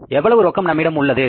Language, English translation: Tamil, How much cash is available